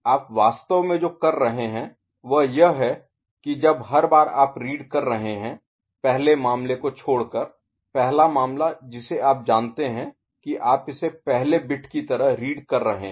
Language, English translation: Hindi, What you are doing actually is every time you are reading something except for the first case, first case you know you are reading it just like first bit